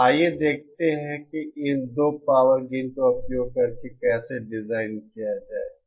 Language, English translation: Hindi, So let us see how to design using these 2 power gains